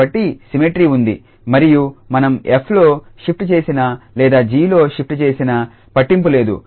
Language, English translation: Telugu, So, there is a symmetry and it does not matter whether we make a shift in f or we make a shift in g